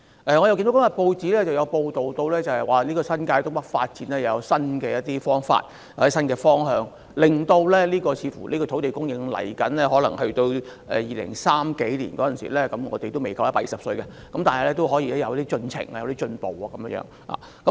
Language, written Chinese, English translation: Cantonese, 我看見今天的報章報道，新界東北發展有新方法或新方向，令未來的土地供應似乎去到2030年代——我們屆時仍未夠120歲——仍然可以有進程、有進步。, Today I read a newspaper report which says that there is a new approach or new direction in the development of North East New Territories . Apparently this approach will enable headway or progress to be made in land supply in the future up to 2030 . We will not have reached 120 years old by then yet